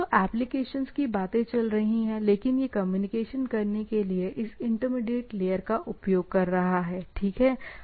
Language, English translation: Hindi, So, the applications things are going on, but it is taking it is using this intermediate layer to communicate, right